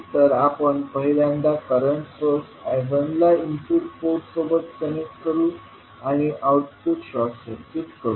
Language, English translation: Marathi, We will first connect the current source I1 to the input port and short circuit the output port